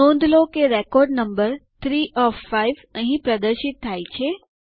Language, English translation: Gujarati, Notice that the record number 3 of 5 is displayed here